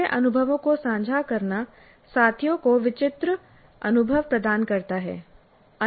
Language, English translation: Hindi, Sharing previous experiences provides vicarious experience to the peers